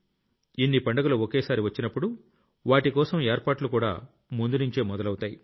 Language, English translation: Telugu, When so many festivals happen together then their preparations also start long before